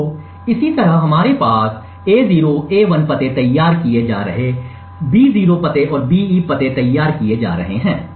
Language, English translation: Hindi, So similarly we have A0, A1 addresses being crafted B0 addresses and the BE addresses being crafted